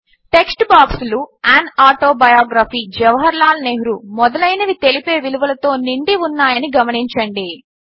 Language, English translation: Telugu, Notice that the text boxes are filled with values, that read An autobiography, Jawaharlal Nehru etc